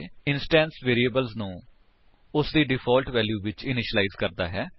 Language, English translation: Punjabi, It initializes the instance variables to their default value